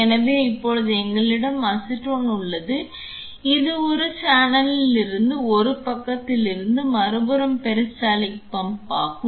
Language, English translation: Tamil, So, now, we had acetone which got pumped from one channel to the from one side to the other side of are peristaltic pump